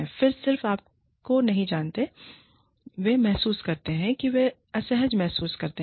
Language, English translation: Hindi, They just do not, you know, they feel stifled, they feel uncomfortable